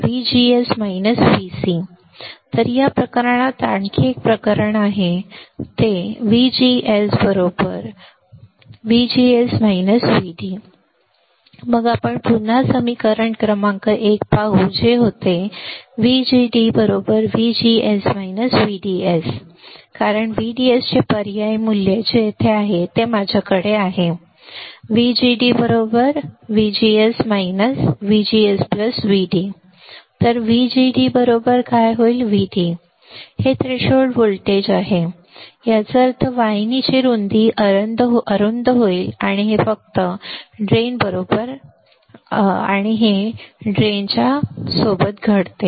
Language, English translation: Marathi, Now this is another case right in this case if VGS equals to VGS minus VD, then we have this formula again equation number one which was VGD equals to VGS minus VDS because substitute value of VDS which is right over here, then I have VGD equals to VGS minus VGS plus VD this is gone